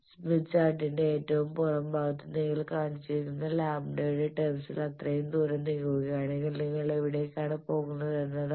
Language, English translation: Malayalam, And you will see that the outer most portion of the smith chart there you have shown that if you move by so and so distance in terms of lambda then where you are going